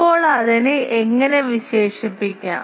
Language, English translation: Malayalam, Now, how to do we characterize that